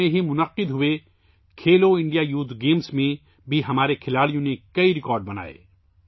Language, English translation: Urdu, In the recently held Khelo India Youth Games too, our players set many records